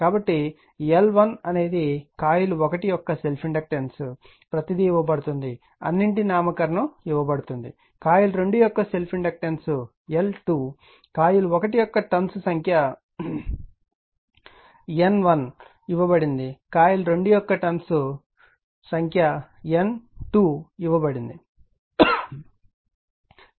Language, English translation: Telugu, So, L 1 is the self inductance of coil 1 everything is given all nomenclature is given L 2 self inductance of coil 2 N 1 number of turns of coil 1 given N 2 number of turns coil 2 is given